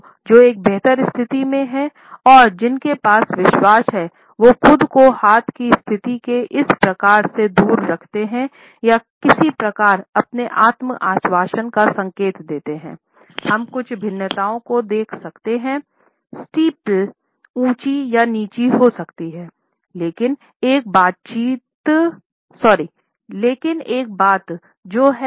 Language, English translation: Hindi, In many situations we find that people who are at a superior position and people who are confident ensure of themselves off for this type of a hand position or some type of a variation to signal their self assurance